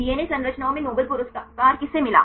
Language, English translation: Hindi, Who got the Nobel Prize in DNA structures